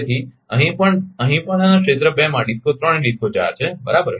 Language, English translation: Gujarati, So, here also here also in area 2 DISCO 3 and DISCO 4 right